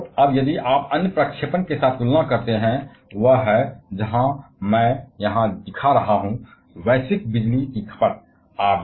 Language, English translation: Hindi, And now, if you compare that with the other projection; that is, where I am showing here the global electricity consumption